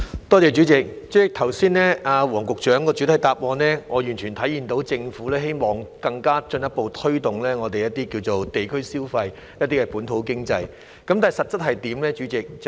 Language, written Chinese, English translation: Cantonese, 代理主席，從黃局長剛才的主體答覆中，我完全體會到政府希望進一步推動地區消費和本土經濟，但代理主席，實際情況又如何呢？, Deputy President from the main reply provided by Secretary WONG just now I can fully understand the Governments desire to further promote neighbourhood spending and the local economy but Deputy President what is the situation in reality?